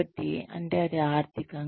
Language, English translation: Telugu, So, that means financial